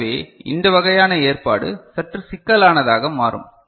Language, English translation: Tamil, So, then this kind of arrangement becomes a bit problematic ok